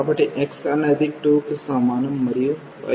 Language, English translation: Telugu, So, this is x is equal to 2 and y is 2 over x